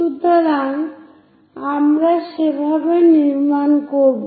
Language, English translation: Bengali, So, in that way, we will construct